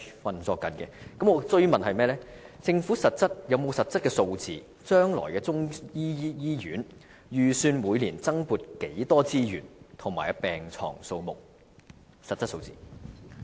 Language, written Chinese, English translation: Cantonese, 我要追問，政府有沒有實質的數字，就將來中醫醫院，預算每年增撥多少資源及病床數目的實質數字？, Does the Government have any concrete figures on the estimated annual additional resources and the number of hospital beds to be provided for the future Chinese medicine hospital?